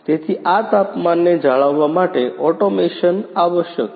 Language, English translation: Gujarati, So automation is required to maintain this temperature